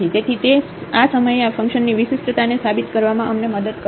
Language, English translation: Gujarati, So, it does not help us to prove the differentiability of this function at this point of time